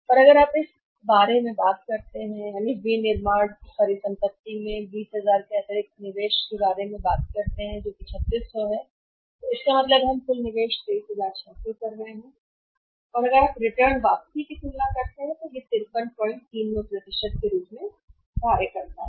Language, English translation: Hindi, And if you talk about this the so in manufacturing asset is 20000 and additional investment in this is 3600 so it means total investment we are making is 23600 and from this if you compare the return that return works out as 53